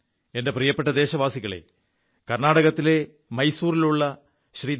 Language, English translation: Malayalam, My dear countrymen, Shriman Darshan from Mysore, Karnataka has written on My gov